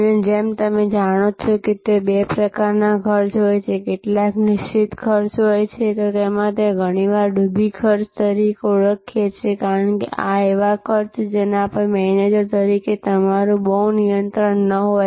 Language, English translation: Gujarati, And as you know, there are two types of costs, some are fixed cost, we often call them sunk costs, because these are costs on which as a manager you may not have much of control